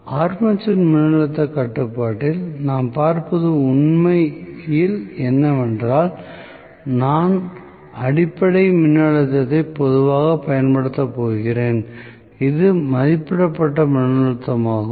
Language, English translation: Tamil, So, in armature voltage control, what I am looking at is actually, I am going to have basically the voltage is normally applied, which is the rated voltage